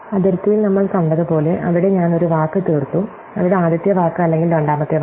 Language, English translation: Malayalam, So, as we saw at the boundary, where I have exhausted one word, where either the first word or the second word is